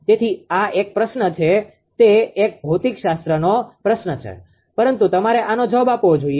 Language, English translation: Gujarati, So, this is a ah question it is a physics type of question, but you should answer this, right